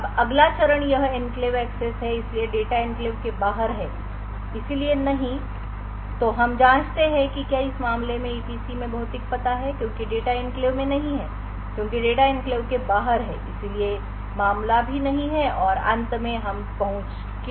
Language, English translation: Hindi, Now the next step is this a enclave access so since the data is outside the enclave so therefore no then we check whether the physical address is in the EPC in this case since the data is not in the enclave the data is outside the enclave therefore this case is too is also no and finally we allow the access